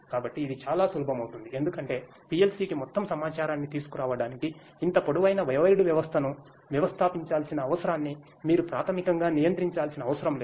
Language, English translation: Telugu, So, that becomes much more handy because you need not to basically control the you know need not to install such a long wired system to bring all the information to the PLC